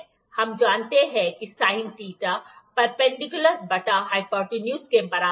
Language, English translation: Hindi, As we know that sin theta is equal to perpendicular upon hypo hypotenuse